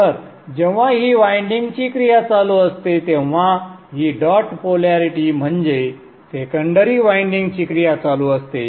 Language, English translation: Marathi, When this winding is action, this dot polarity, this is the secondary winding that is in action